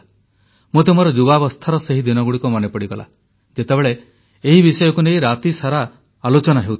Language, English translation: Odia, I was reminded of my younger days… how debates on this subject would carry on through entire nights